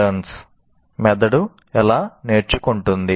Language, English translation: Telugu, This is related to how brains learn